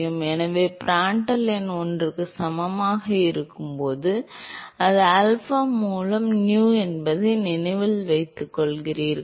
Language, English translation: Tamil, So, when Prandtl number is equal to one, you remember that it is nu by alpha right